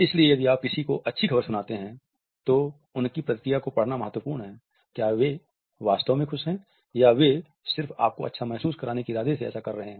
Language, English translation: Hindi, So, if you tell someone good news, it is important to read their reaction; are they actually happy that you beat your personal record or are they just in it to make you feel good